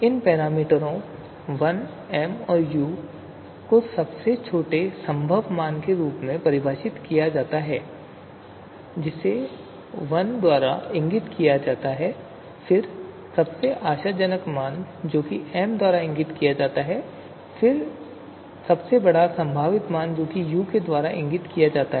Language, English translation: Hindi, So they are defined as a triplet, so where we have three ordinates here l, m, u, so where these parameters l, m, u or respectively they are defined as the you know smallest possible value that is indicated by l then the most promising value that is indicated by m and then the largest possible value that is indicated by u